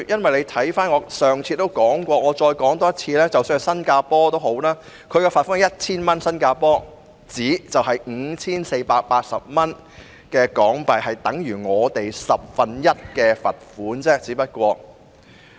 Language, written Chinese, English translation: Cantonese, 我上次發言也提到，我現在再說一次，即使新加坡對有關罪行的罰款也只是 1,000 新加坡元，兌換後是 5,480 港元，即等於《條例草案》中所訂罰款的十分之一。, I have already mentioned it in my last speech and will say it again now even Singapore imposes on relevant offences only a fine of S1,000 which is HK5,480 after conversion equivalent to one tenth of the fine set out in the Bill